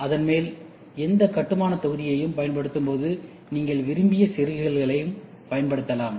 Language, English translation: Tamil, And on top of it, when you use this building block, you can also use inserts whatever you want